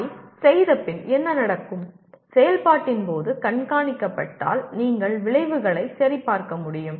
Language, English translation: Tamil, Then what happens having done that, having monitored during the process you should be able to check the outcomes